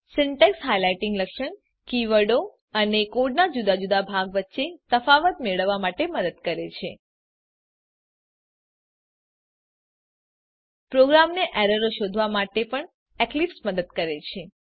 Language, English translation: Gujarati, This Syntax highlighting feature helps us to differentiate between keywords and different parts of the code Eclipse also helps the programmer to find out errors